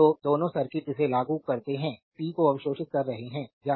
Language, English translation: Hindi, So, both circuits apply it is absorbing the power